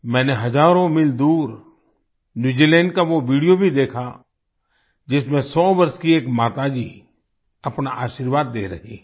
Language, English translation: Hindi, I also saw that video from New Zealand, thousands of miles away, in which a 100 year old is expressing her motherly blessings